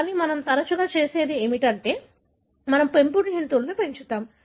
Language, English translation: Telugu, But more often what we do is, we breed domesticate animals